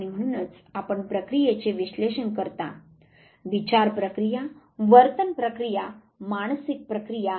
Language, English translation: Marathi, And therefore, you analyze the process; the mental process, the behavioral process, the psychological process